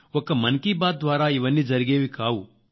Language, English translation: Telugu, I know that this will not happen with just one Mann Ki Baat